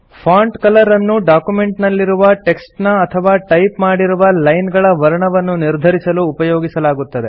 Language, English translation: Kannada, The Font Color is used to select the color of the text in which your document or a few lines are typed